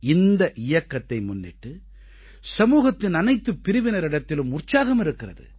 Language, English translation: Tamil, This campaign has enthused people from all strata of society